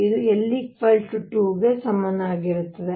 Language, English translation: Kannada, l equals 2